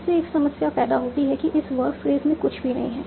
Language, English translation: Hindi, This creates a problem in that this verb phage does not have any children